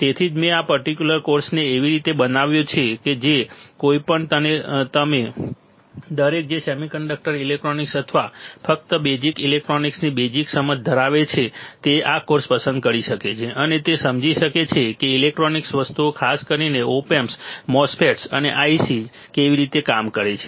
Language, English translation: Gujarati, So, that is why I have molded this particular course in the fashion that anyone and everyone who has a basic understanding of semiconductor electronics or just basic electronics can opt for this course, and can understand how the electronic things are particularly op amps, particularly MOSFETs and ICs work